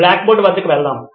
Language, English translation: Telugu, Let’s go to the blackboard